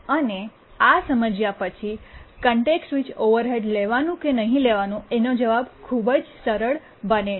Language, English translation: Gujarati, And once we understand that then the answer about how to take context switch overheads becomes extremely simple